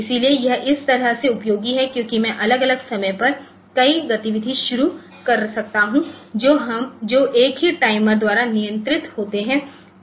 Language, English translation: Hindi, So, this way it this is useful because I can have multiple activity started at different times which are controlled by the same timer ok